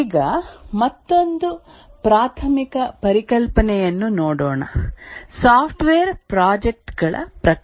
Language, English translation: Kannada, Now let's look at another very preliminary concept is the type of software projects that are being done